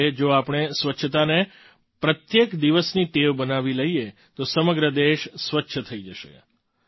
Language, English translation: Gujarati, Similarly, if we make cleanliness a daily habit, then the whole country will become clean